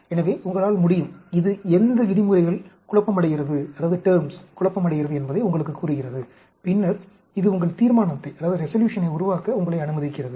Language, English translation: Tamil, So, you can, this tells you the, which terms are confounded, and then, it also tells you, allows you to make your resolution